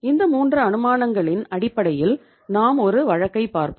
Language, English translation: Tamil, On the basis of these 3 assumptions we will be discussing this case